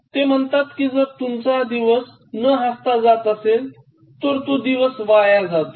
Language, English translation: Marathi, ” He says that, if you spend a day without laughing you are just wasting a day